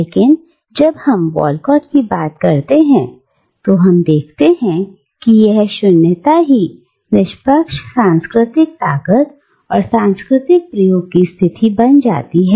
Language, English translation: Hindi, But when we come to Walcott, we see that this very nothingness becomes a position of cultural strength and cultural experimentation